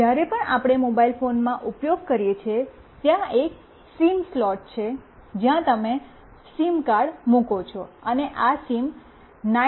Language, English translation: Gujarati, Whenever we use in a mobile phone, there is a SIM slot where you put a SIM card, and this is the chip of the SIM900A